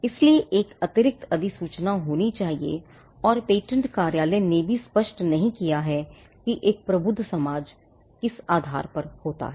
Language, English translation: Hindi, So, there has to be an additional notification that comes out and the patent office has also not made clear as to what amounts to transactions of a learned society